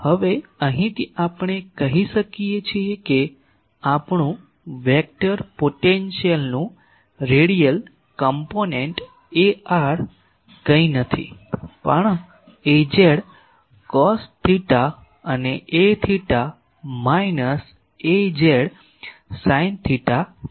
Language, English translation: Gujarati, Now, this from here we can say that our radial component Ar of the vector potential that is nothing, but Az cos theta and A theta is minus Az sin theta